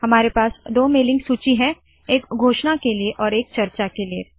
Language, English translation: Hindi, We have two mailing lists, one for announce and one for discuss